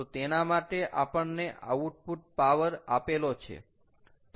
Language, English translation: Gujarati, so for that, ah, we were given what is output power